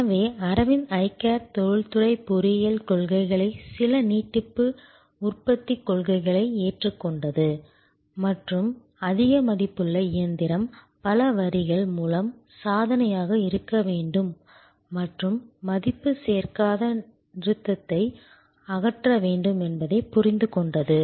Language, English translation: Tamil, So, Aravind Eye Care adopted industrial engineering principles to some extend production line principles and understood that the most high value machine has to be feat through multiple lines and non value adding stop should be removed